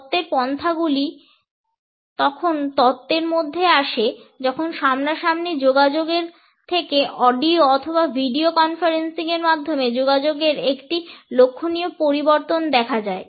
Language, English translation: Bengali, The theoretical approaches which come under this theory is started when there was a remarkable shift from a face to face communication to audio or video conferencing